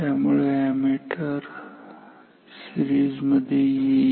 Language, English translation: Marathi, So, I connect the ammeter in series